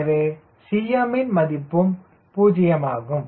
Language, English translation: Tamil, so cm will be zero